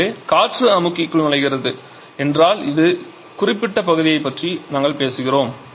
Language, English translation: Tamil, So, air enters the compressor means we are talking about this particular point